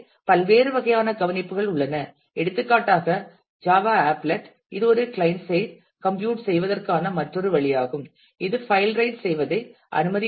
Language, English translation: Tamil, So, there are different kinds of care that is to be taken for example, Java applet which is another way of doing client side computation disallows file writes and so, on